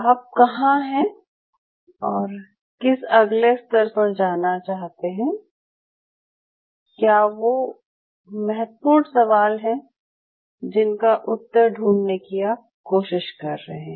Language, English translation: Hindi, And where you are where you want to take it to the next level, what are those critical question what you are trying to address